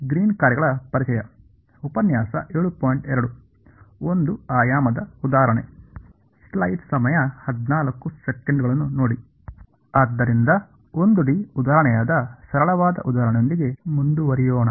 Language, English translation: Kannada, So, let us proceed with the simplest possible example which is a 1 D example